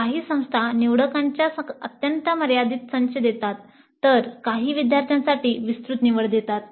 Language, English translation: Marathi, Some institutes offer an extremely limited set of electives while some do offer a wide choice for the students